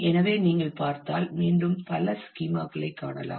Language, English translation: Tamil, So, what if you look into; so you can again see a number of schema